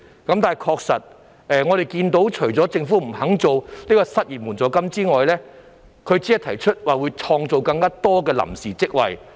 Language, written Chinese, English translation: Cantonese, 但是，我們確實看到政府除了不肯設立失業援助金外，還只提出會創造更多臨時職位。, Nevertheless we do notice that the Government apart from refusing to establish an unemployment assistance only proposed to create more temporary posts